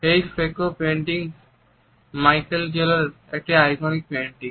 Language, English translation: Bengali, This particular fresco painting is an iconic painting by Michelangelo